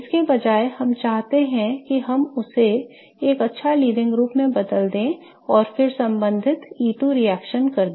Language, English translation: Hindi, Instead what we wish to do is we wish to convert it to a good leaving group and then perform the corresponding E2 reaction